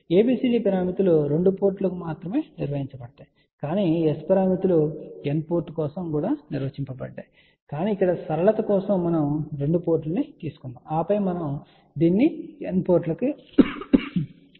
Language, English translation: Telugu, Just to tell you that ABCD parameters are defined only for 2 ports, but S parameters are defined for n port but for simplicity let us just take 2 port and then we will extend this concept to n ports